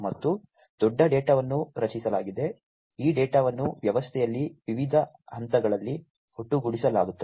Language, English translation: Kannada, And there is huge, a data that is generated, this data are aggregated at different levels in the system